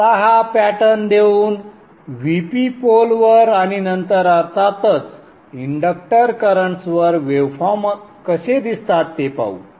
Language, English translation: Marathi, Now given this pattern let us see how the waveforms will appear at the VP the pole and then of course the inductor currents